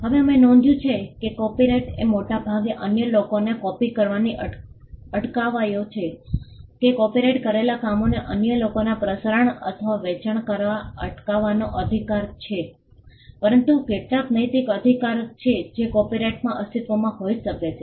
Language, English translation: Gujarati, Now we mention that copyright largely is the right to prevent others from copying, prevent others from broadcasting or selling the copyrighted work, but there are certain moral rights that could exist in a copyright